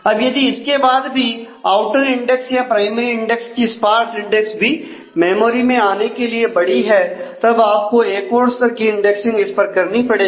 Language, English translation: Hindi, So, if now in turn the outer index the sparse index of the primary index also is too large to fit in memory then you need to do yet another level of indexing on it and